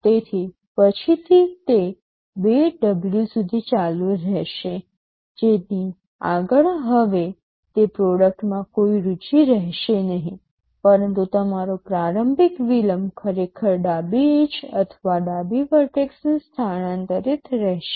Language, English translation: Gujarati, So, from then again it will continue up to 2W beyond which there will be no interest in that product anymore, but your initial delay is actually shifting the left edge or the left vertex of your triangle to the right, this is what is happening